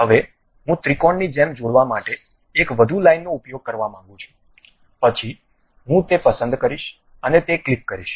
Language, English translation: Gujarati, Now, I would like to use one more line to join like a triangle, then I will pick that one and click that one